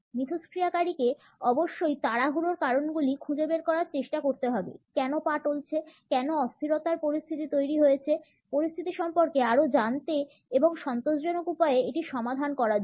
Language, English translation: Bengali, The interactant must try to find out the reasons of the hurry, reasons why the feet are teetering, why the unsteadiness is there to find out more about the situation and resolve it in a satisfactory manner